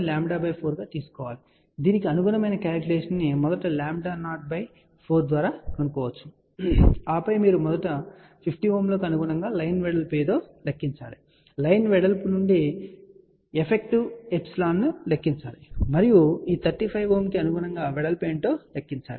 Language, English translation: Telugu, So, one can do the calculation corresponding to this find out first lambda 0 by 4 and then you have to first calculate corresponding to 50 ohm what is the line width ok, from the line width calculate what is epsilon effective and corresponding to this 35 ohm calculate what is the width